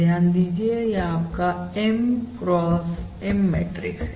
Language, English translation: Hindi, Note that this is basically your M cross M matrix